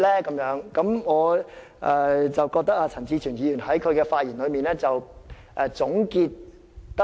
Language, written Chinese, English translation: Cantonese, 我認為陳志全議員的發言作了很好的總結。, I think Mr CHAN Chi - chuens speech has made a very good conclusion